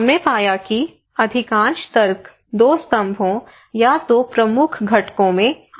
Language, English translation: Hindi, What we found is that the most of the arguments are coming in two pillars or kind of two components two major components